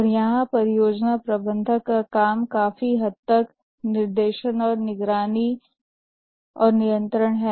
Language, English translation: Hindi, And here the work of the project manager is largely directing and monitoring and control